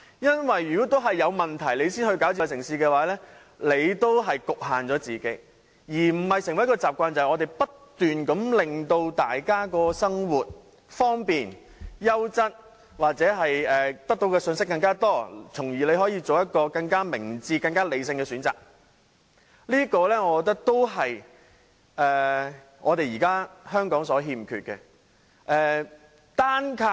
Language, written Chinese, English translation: Cantonese, 因為如果是有問題才推動智慧城市的發展，仍然是局限了自己，而不是成為一種習慣，即我們不斷令大家在生活上變得方便、優質或獲得更多信息，從而作出更明智和理性的選擇，我認為這也是現時香港欠缺的。, This is because if the development of smart city is taken forward only because problems have arisen we have still imposed limits on ourselves rather than forming a habit that is to continuously make everyones life more convenient and better in quality or provide people with more information so that they can make smarter and more rational choices . I believe this is also what is missing in Hong Kong presently